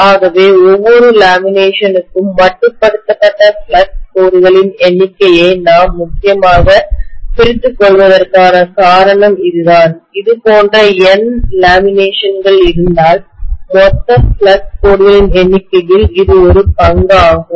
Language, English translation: Tamil, So that is the reason why we are essentially dividing the number of flux lines confining to every lamination, that will be one Nth of the total number of flux lines if I have N such laminations